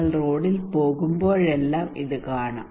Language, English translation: Malayalam, Every time you go on road you can see this one